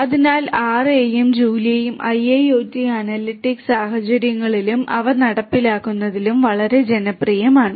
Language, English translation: Malayalam, So, both R and Julia are quite popular in the IIoT analytics scenarios and their implementation